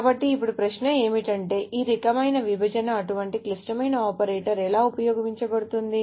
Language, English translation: Telugu, So now the question is, how are this kind of division, such a complicated operator useful